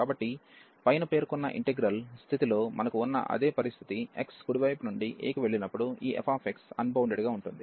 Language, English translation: Telugu, So, the same situation like we have in the above integral that this f x is unbounded, when x goes to a from the right hand side